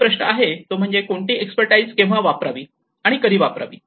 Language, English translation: Marathi, So, the main question is what expertise to use and when